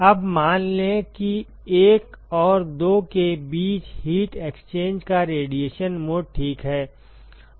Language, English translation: Hindi, Now, let us say that there is radiation mode of heat exchange between one and two ok